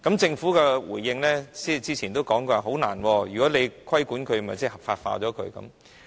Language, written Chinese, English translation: Cantonese, 政府早前回應表示難以做到，因為如果規管它的話，即是將它合法化。, The Government earlier responded that it was difficult to do so because that would mean legalizing them